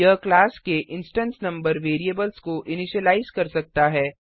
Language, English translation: Hindi, It can initialize instance member variables of the class